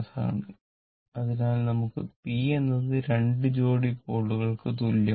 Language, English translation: Malayalam, So, 2 pair we have p is equal to 2 pairs of pole